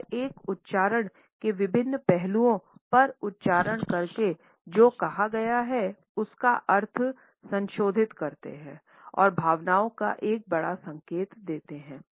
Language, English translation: Hindi, And by accenting different aspects of an utterance it modifies the meaning of what is said and can be a major indication of feelings etcetera